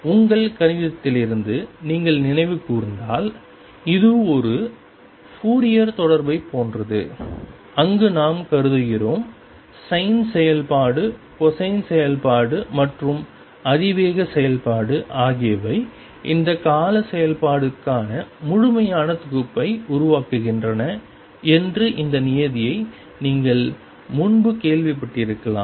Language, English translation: Tamil, And if you recall from your mathematics this is similar to a Fourier series, where we assume and may be you heard this term earlier that the sin function cosine function and exponential function they form a complete set for those periodic functions